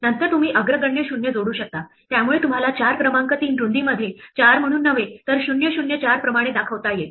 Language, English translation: Marathi, Then you can add leading zeroes, so you might to display a number 4 not in width 3 not as 4, but as 004